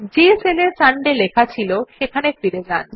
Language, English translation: Bengali, Go back to the cell where Sunday was typed